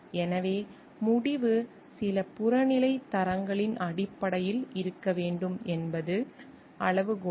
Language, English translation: Tamil, So, criteria is the result should be based on some objective standards